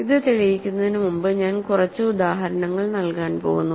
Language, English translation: Malayalam, So, I am going to give a couple of examples before I prove this